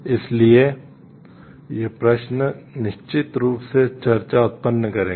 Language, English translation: Hindi, So, these questions will certainly generate discussion